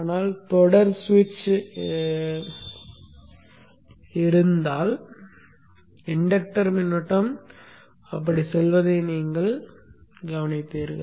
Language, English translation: Tamil, But the switch, if it blocks, then you will see that the inductor current goes like that